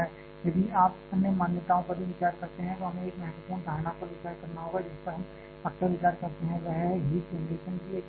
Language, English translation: Hindi, If you other assumptions also we have to consider like one important assumption that we quite often consider is uniform rate of heat generation